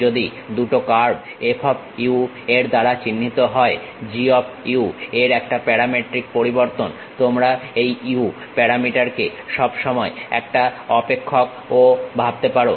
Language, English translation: Bengali, If two curves are denoted by F of u, a parametric variation and G of u; you can think of this parameter u as a function of time also